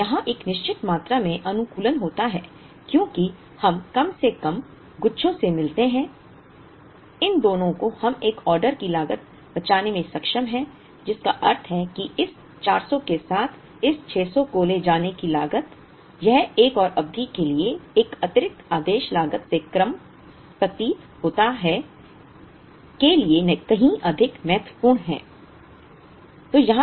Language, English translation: Hindi, Now, here there is a certain amount of optimization because we found at least by bunching these two we are able to save one order cost, which means the cost of carrying this 600 along with this 400, that is far more important for another period seem to be lesser than one additional ordering cost